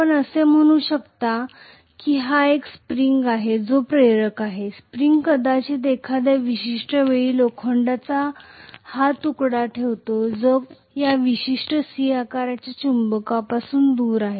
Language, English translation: Marathi, Let us say it is not an inductor it is a spring, the spring is holding probably this piece of iron at some point which is away from this particular C shaped magnet